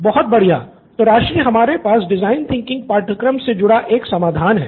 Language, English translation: Hindi, Great, So Rajshree what we have here is a solution as part of our design thinking course